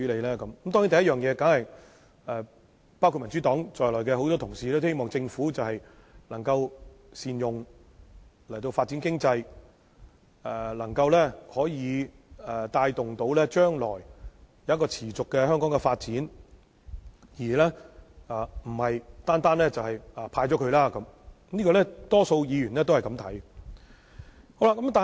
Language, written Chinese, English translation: Cantonese, 當然，第一，包括民主黨在內的很多同事都希望政府能夠善用盈餘發展經濟，以及能夠帶動香港將來持續發展而不是單單"派錢"，這是大部分議員的想法。, Certainly first many Honourable colleagues including Members of the Democratic Party would wish that the Government can utilize the surplus to develop the economy and promote the sustainable development of Hong Kong rather than just offering a cash handout . This is the view held by the majority of Members